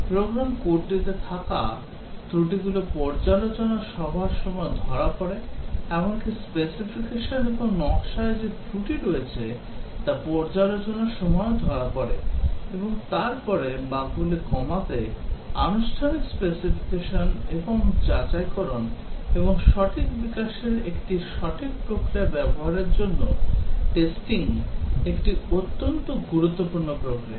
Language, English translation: Bengali, The faults that are there in the program code are caught during review meeting, even the fault that are there in the specification and design are caught by review meetings and then testing is a very important means of reducing the bugs, formal specification and verification and use of a proper development process